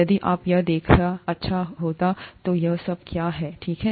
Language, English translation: Hindi, So you, it it will be nice to see what it is all about, okay